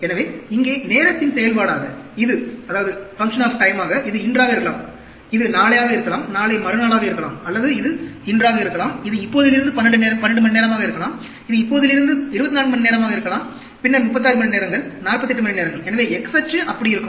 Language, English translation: Tamil, So, as a function of time here; this could be today, this could be tomorrow, the day after tomorrow, this, or it could be today, this is 12 hours from now, this 24 hours from now, then 36 hours, 48 hours; so, the x axis will be like that